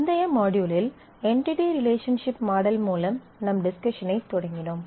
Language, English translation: Tamil, In the last module we will started our discussions on the entity relationship model